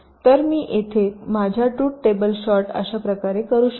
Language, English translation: Marathi, so here i can make my truth table short in this way